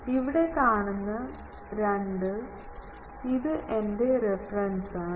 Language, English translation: Malayalam, The 2 is my reference you see